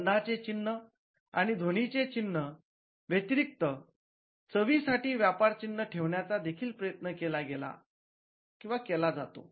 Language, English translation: Marathi, So, apart from the smell marks and the sound marks, there is also an attempt to have trademarks for taste